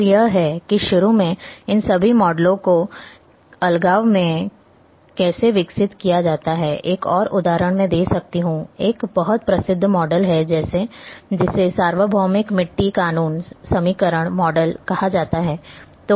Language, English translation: Hindi, And this is how initially all these models are developed in isolation, one more example I can give there is a very famous a model which is called universal soil laws equation model